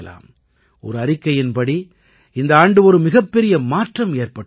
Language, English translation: Tamil, According to a report, a big change has come this year